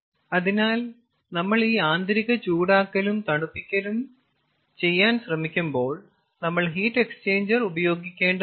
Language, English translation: Malayalam, so when we try to do this internal heating and cooling, then we have to use heat exchanger